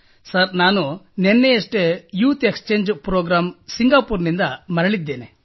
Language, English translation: Kannada, Sir, I came back from the youth Exchange Programme,